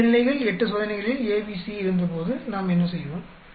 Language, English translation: Tamil, So, when we had A, B, C in 2 levels 8 experiments what we did